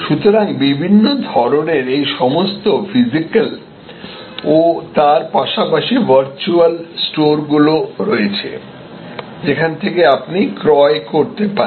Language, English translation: Bengali, So, there are all these different types of these physical as well as virtual stores; that are available, where you can acquire